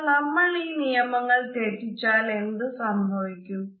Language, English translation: Malayalam, But what happens when you break those rules